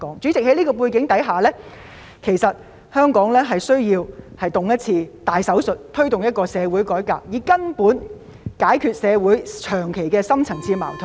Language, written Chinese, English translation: Cantonese, 主席，在這個背景下，香港需要接受一次大手術，推動社會改革，根本解決長期存在的深層次矛盾......, President against this background Hong Kong needs to undergo a major operation to promote social reform and fundamentally resolve deep - seated conflicts that have existed for an extended period of time